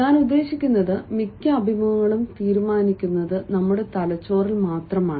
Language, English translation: Malayalam, i mean, most of the interviews are decided only in our brains, when we anticipate, only in our mind